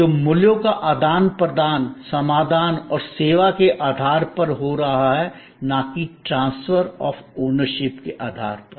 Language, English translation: Hindi, So, the exchange of value is taking place on the basis of solution and service and not on the basis of transfer of ownership